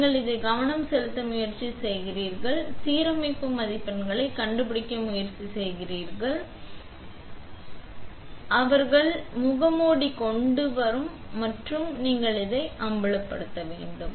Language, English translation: Tamil, So, you try to focus it and you try to find your alignment marks and align them to the features and then once you have aligned it, you will do same thing you do a alignment check and they will bring the mask up and then you would expose it